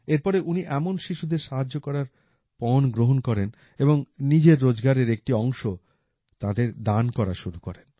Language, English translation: Bengali, After that, he took a vow to help such children and started donating a part of his earnings to them